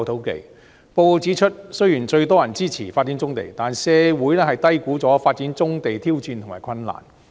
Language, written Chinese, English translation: Cantonese, 報告指出，雖然最多人支持發展棕地，但社會低估了發展棕地的挑戰及困難。, As stated in the report although the development of brownfield sites receives the most support society has underestimated the challenges and difficulties in developing brownfield sites